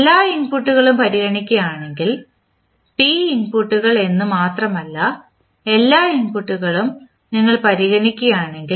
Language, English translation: Malayalam, If you consider all the inputs say there are p inputs if you consider all the inputs